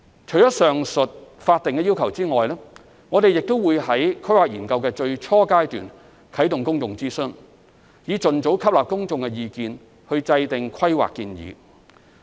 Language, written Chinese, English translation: Cantonese, 除上述法定要求外，我們亦會在規劃研究的最初階段啟動公眾諮詢，以盡早吸納公眾意見以制訂規劃建議。, Apart from the above statutory requirements we will also commence public consultation at the beginning stage of a planning study in order to incorporate public comments into our planning proposals as early as possible